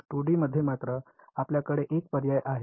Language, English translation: Marathi, In 2 D however, we have a choice ok